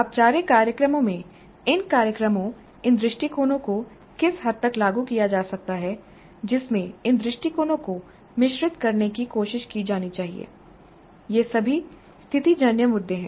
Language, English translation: Hindi, Now what is the extent to which these programs, these approaches can be implemented, formal, informal programs, in which mix these approaches should be tried, all are situational issues